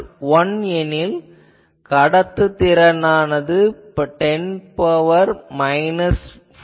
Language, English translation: Tamil, 1, in that case conductance is 10 to the power minus 4